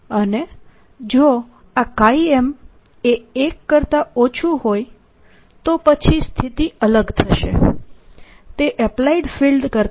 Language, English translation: Gujarati, however, this chi m is less than one, then this is going to be different and going to be less than the applied field